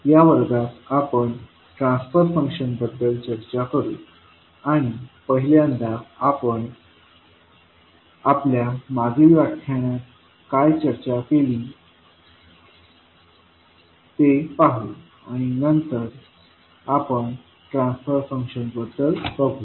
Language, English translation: Marathi, So, in this class we will discuss about the transfer function and we will see what we discussed in our previous class first and then we will proceed to transfer function